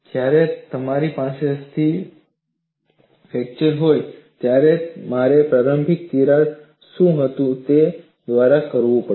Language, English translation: Gujarati, When I have a stable fracture, I will have to go by what was the initial crack